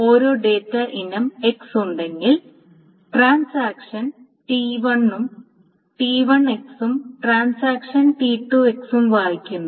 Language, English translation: Malayalam, So, for each data item X, if there is a data item X, transaction T1 reads X and transaction T2 reads X